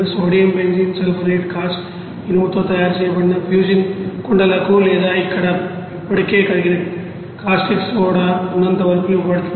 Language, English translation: Telugu, Sodium Benzene sulphonate is fed to cast iron make fusion pots or who is already contains molten caustic soda there